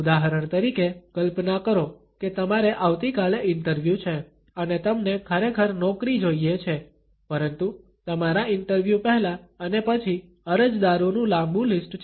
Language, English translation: Gujarati, For example, imagine you have an interview tomorrow and you really want the job, but there is a long list of applicants before and after your interview